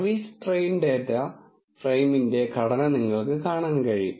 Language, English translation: Malayalam, You can see the structure of the service train data frame